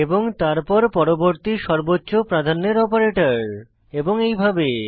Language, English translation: Bengali, This is then followed by the next operator in the priority order and so on